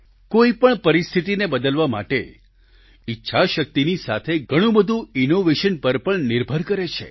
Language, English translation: Gujarati, In order to change circumstances, besides resolve, a lot depends on innovation too